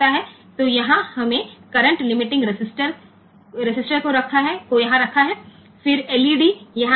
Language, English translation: Hindi, So, here we have put a current limiting resistance here, then that is led